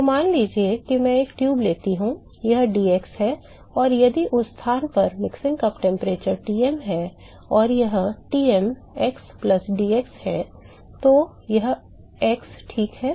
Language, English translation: Hindi, So, suppose I take a tube, this is dx and if the mixing cup temperature at that location is Tm, and this is Tm x+dx, this is x, Ok